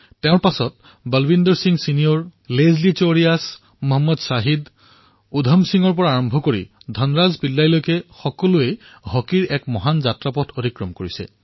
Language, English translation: Assamese, Then, from Balbeer Singh Senior, Leslie Claudius, Mohammad Shahid, Udham Singh to Dhan Raj Pillai, Indian Hockey has had a very long journey